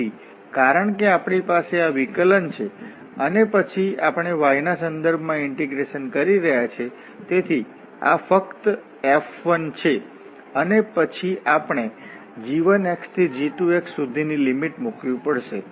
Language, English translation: Gujarati, So since we have this derivative and then we are also integrating with respect to y, so this is simply F 1 and then we have to put the limits from g 1 to g 2